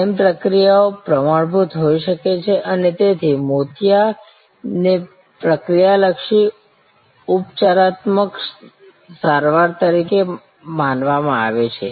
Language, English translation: Gujarati, Training procedures could be standardized and cataracts therefore, were surmised as a procedure oriented curative treatment